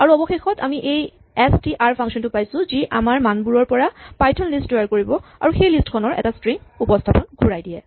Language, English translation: Assamese, And finally, we have this str function which creates a python list from our values and eventually returns a string representation of that list